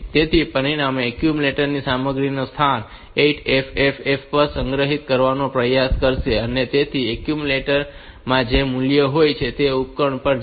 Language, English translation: Gujarati, So, as a result the accumulator content it will try to store at location 8FFF and so the value that is there in the accumulator will be going to the device